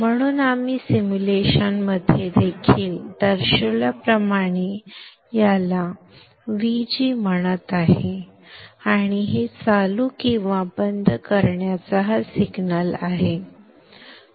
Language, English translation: Marathi, So therefore I am calling this one as VG as we had indicated in the simulation and this is the signal to drive this on or off